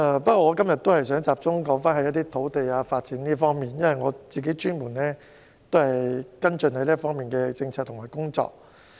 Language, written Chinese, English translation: Cantonese, 不過，我今天想集中談談土地發展，因為我專門跟進這方面的政策和工作。, That said I would like to focus on talking about land development today for the reason that I have particularly followed up policies and work in this area